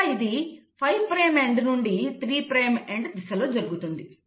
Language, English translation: Telugu, And that happens from 5 prime end to 3 prime end